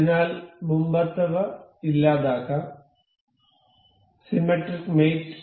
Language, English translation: Malayalam, So, let us just delete the earlier ones; symmetric mate